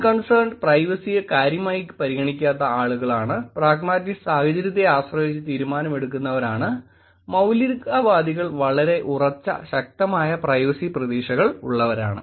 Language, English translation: Malayalam, Unconcerned being people who do not care about privacy, pragmatist being who depending on the situation who make a decision on it, fundamentalist are the people who have very, very staunch privacy expectations, who have very strong privacy expectations